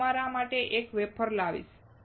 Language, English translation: Gujarati, I will bring a wafer for you